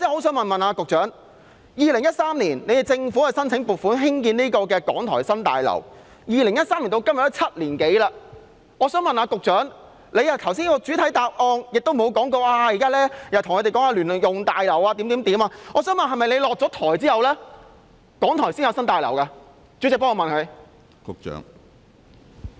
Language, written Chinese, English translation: Cantonese, 政府在2013年申請撥款興建港台新大樓，至今已經7年多，局長剛才的主體答覆並無提及如何興建聯用大樓，我想問是否要在局長下台後，港台才會有新大樓？, The Government made a funding application for constructing the New BH of RTHK in 2013 and some seven years have passed since then . The Secretarys main reply just now has failed to mention how a joint - user building will be constructed . May I ask whether RTHK will have its New BH only after the Secretary has stepped down?